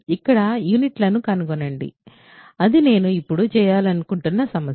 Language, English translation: Telugu, So, here find the units of, that is the problem that I want to do now